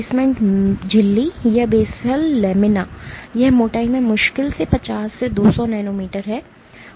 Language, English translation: Hindi, The basement membrane or the basal lamina, it is hardly 50 to 200 nanometers in thickness